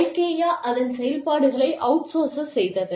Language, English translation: Tamil, Ikea had outsourced, its operations